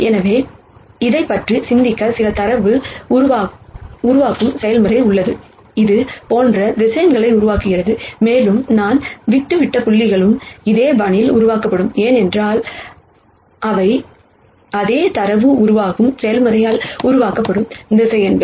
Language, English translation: Tamil, So, the way to think about this it is let us say there is some data generation process, which is generating vectors like this, and the dot dot dots that I have left out, will also be generated in the same fashion, because those are also vectors that are being generated by the same data generation process